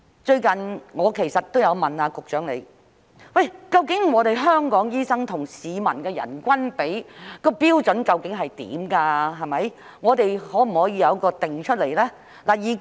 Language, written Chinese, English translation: Cantonese, 最近，我也有向局長提問，關於香港醫生跟市民的人均比，究竟標準是甚麼，可否將之訂定出來呢？, Recently I have also asked the Secretary In relation to the doctor to citizen ratio in Hong Kong what is the standard and can it be set?